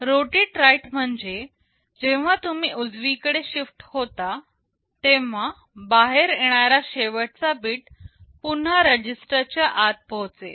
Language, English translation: Marathi, Rotate right means when you shift right the last bit coming out will again get inside the register